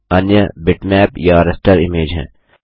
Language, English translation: Hindi, The other is bitmap or the raster image